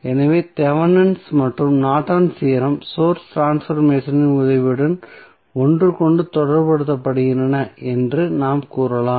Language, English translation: Tamil, So, we can say that Thevenin and Norton's theorem are somehow related with each other with the help of source transformation